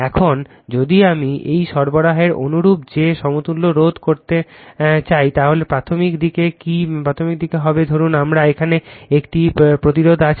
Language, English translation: Bengali, Now, if I want to put that equivalent resistance similar to that on the this supply your what you call on the primary side in suppose I have a resistance here